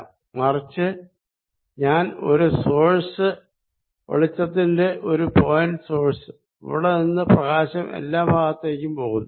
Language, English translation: Malayalam, But, on the other hand, if I take a source of like a point source of light and light is going out from here all around